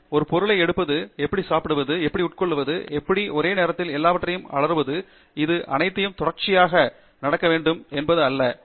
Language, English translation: Tamil, I was trying to learn how to pick an object, how to eat, how to crawl, how to pinch, how to scream everything at the same time and this not necessarily happening in a sequence